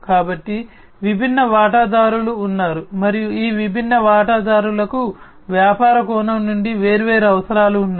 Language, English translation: Telugu, So, there are different stakeholders, right and these different stakeholders have different requirements, from a business perspective